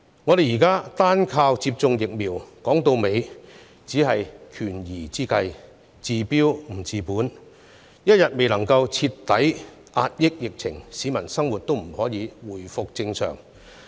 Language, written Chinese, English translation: Cantonese, 我們現在單靠接種疫苗，說到底只是權宜之計，治標不治本，一天未能徹底遏止疫情，市民的生活便無法回復正常。, For the time being we are relying on vaccination alone which at the end of the day is only a stop - gap measure that treats the symptoms but not the root cause . Peoples normal life will not resume unless the pandemic is completely brought under control